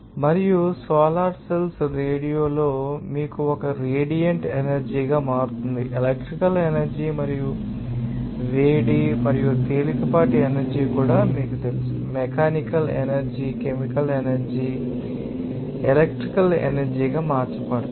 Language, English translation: Telugu, And solar cells, the change radial as a radiant energy into you know that electrical energy and also heat and light energy can be, you know, converted into mechanical energy, chemical energy and electrical energy and back again